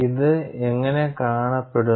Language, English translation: Malayalam, And how does this look like